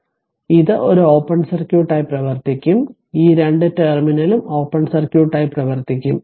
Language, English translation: Malayalam, So, it will act as a it will act as open circuit this two terminal will act as open circuit